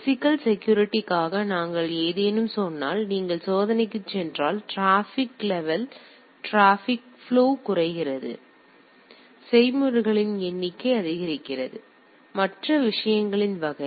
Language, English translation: Tamil, Once you any say for physical security also if you go on checking, the traffic flow decreases, the number of processes increases and type of things